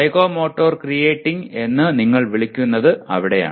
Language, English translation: Malayalam, So that is where what you may call as psychomotor creating